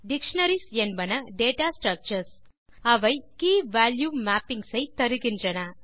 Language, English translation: Tamil, Dictionaries are data structures that provide key value mappings